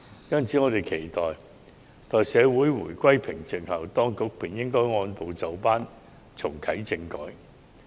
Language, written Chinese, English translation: Cantonese, 因此，我們期待在社會回歸平靜後，當局便應按部就班重啟政改。, We therefore hope that constitutional reform will be reactivated step by step when calm is restored in society